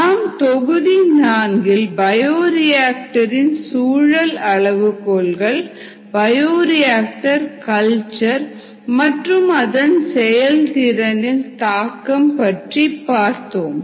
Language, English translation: Tamil, in module four we looked at the effect of certain bioreactor environment parameters, ah on ah, the bioreactor cultures, and there by bioreactor performance